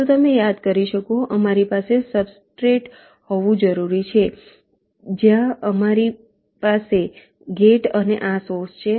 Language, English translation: Gujarati, so you can recall, we need to have a substrate where you have the gate and this source